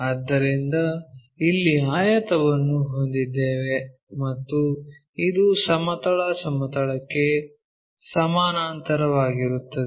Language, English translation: Kannada, So, we have a rectangle here and this is parallel to horizontal plane